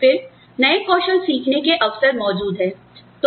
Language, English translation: Hindi, Then, the opportunities, to learn new skills, are present